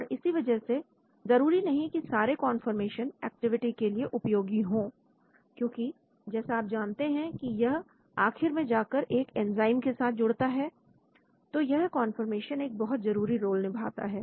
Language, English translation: Hindi, so not all conformations maybe useful for the activity because as you know it finally goes and binds to an enzyme so the conformation plays a very important role